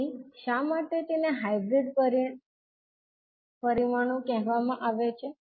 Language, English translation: Gujarati, So why they are called is hybrid